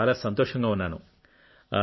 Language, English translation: Telugu, I am very happy